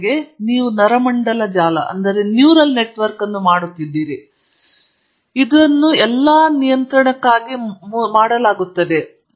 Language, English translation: Kannada, For example, you do neural networks and this is all this is done primarily for control